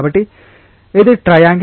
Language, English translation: Telugu, So, this is like a triangle